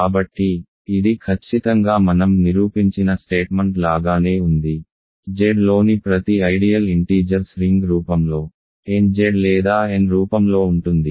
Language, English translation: Telugu, So, this is the exactly like the statement I proved: every ideal in Z the ring of integers is of the form nZ or n in other words for some non negative integer right